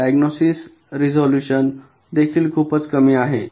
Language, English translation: Marathi, the diagnostic resolution is also pretty low